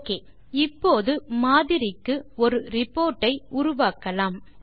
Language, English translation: Tamil, Okay, now, let us create a sample report